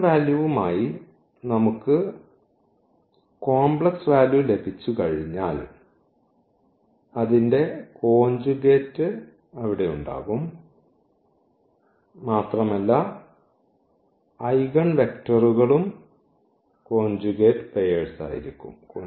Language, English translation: Malayalam, So, the once we have the complex value as the eigenvalue its conjugate will be there and not only that the eigenvectors will be also the conjugate pairs